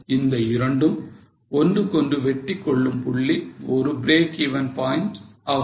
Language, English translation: Tamil, So, the point of interaction between the two is a break even point